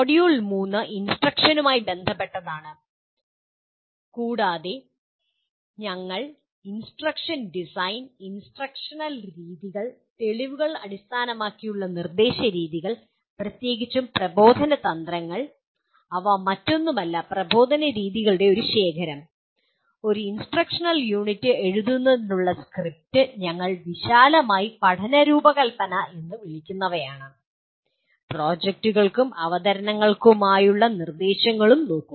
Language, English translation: Malayalam, And module 3 is related to “instruction” and we will talk about instruction design and instructional methods, evidence based instructional methods particularly instructional strategies which are nothing but a collection of instructional methods, script for writing an instructional unit and what we broadly call as learning design and then also look at instruction for projects and presentations